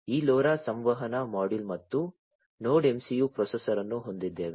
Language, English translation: Kannada, We have this LoRa communication module and the NodeMCU processor